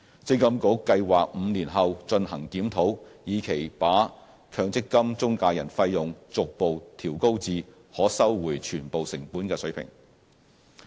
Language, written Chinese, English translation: Cantonese, 積金局計劃在5年後進行檢討，以期把強積金中介人費用逐步調高至可收回全部成本的水平。, MPFA plans to review the MPF - i fees in five years time with a view to bringing them progressively to the full - cost recovery levels